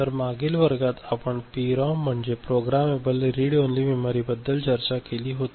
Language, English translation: Marathi, So, in the last class we had discussed a PROM: Programmable Read Only Memory